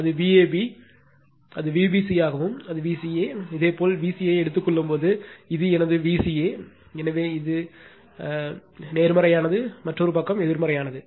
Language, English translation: Tamil, And if it is V a b could V b c and if it is V c a, when you take V c a, this is my V c a, so this is my c this is positive right, and another side is negative